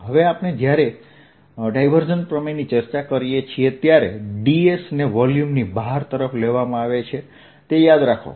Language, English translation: Gujarati, now, when we discuss divergence theorem, remember d s is taken to be pointing out of the volume